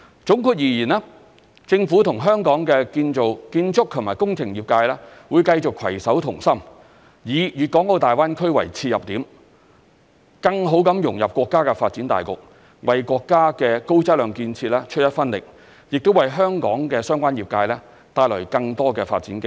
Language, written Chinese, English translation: Cantonese, 總括而言，政府與香港建築及工程業界會繼續攜手同心，以大灣區為切入點，更好地融入國家發展大局，為國家的高質量建設出一分力，亦為香港相關業界帶來更多發展機會。, To sum up the Government will take the Greater Bay Area as an entry point and better integrate into the overall development of our country by working together with the architectural and engineering industry in Hong Kong continuously in a bid to contribute to the high - quality development of our country and bring more development opportunities to the relevant industries in Hong Kong